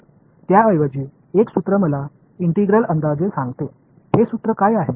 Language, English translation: Marathi, So, instead a formula tells me an approximation of the integral, what is this formula